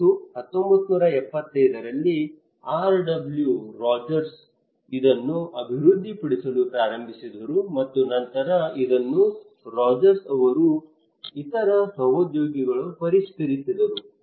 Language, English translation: Kannada, Rogers in 1975 started to develop this one and also then it was later on revised by other colleagues of Rogers